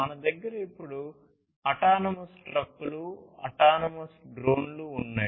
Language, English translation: Telugu, We now have autonomous trucks, autonomous drones